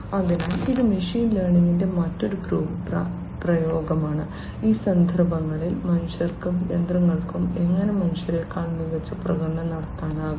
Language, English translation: Malayalam, So, this is also another application of machine learning and how humans and machines can perform better than humans, in these contexts